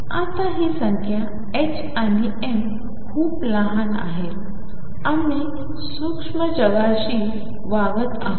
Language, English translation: Marathi, Now these numbers h cross and m are very small we are dealing with microscopic world